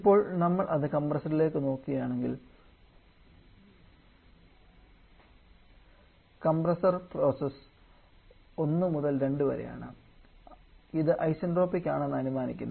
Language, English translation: Malayalam, Now, if we move that to the compressor; for the compressor where ever process is 1 to 2 were assume this to be isentropic